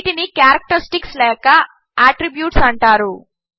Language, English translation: Telugu, These are called characteristics or attributes